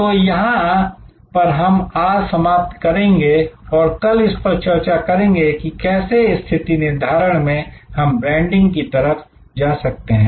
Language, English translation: Hindi, So, this is where we end today and tomorrow we will take up how from positioning we go to branding